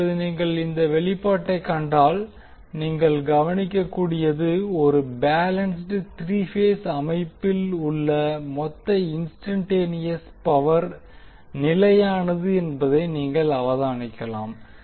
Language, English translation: Tamil, Now if you will see this expression, what you can observe, you can observe that the total instantaneous power in a balanced three phase system is constant